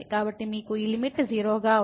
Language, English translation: Telugu, So, you have this limit as 0